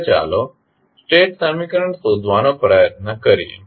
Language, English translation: Gujarati, Now, let us try to find out the state equation